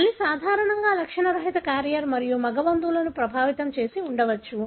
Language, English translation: Telugu, The mother is normally an asymptomatic carrier and may have affected male relatives